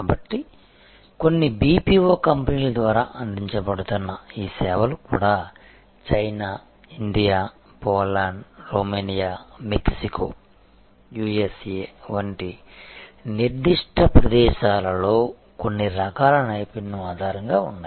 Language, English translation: Telugu, So, these services, which are now, delivered by certain BPO companies are also not located everywhere they are also located at certain places like China, India, Poland, Romania, Mexico, USA on the basis of the expertise certain kind of expertise